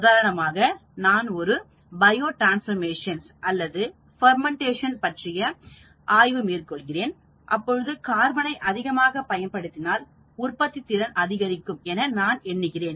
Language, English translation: Tamil, For example, if I am carrying out a bio transformation or a fermentation reaction, I feel that if I had more carbon the productivity goes up